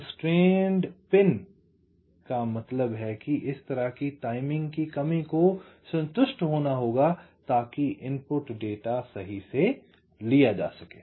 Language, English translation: Hindi, ok, constrained pin means such timing constrained must have to be satisfied for the input data